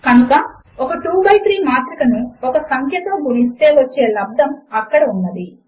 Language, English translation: Telugu, So there is the product of multiplying a 2 by 3 matrix by a number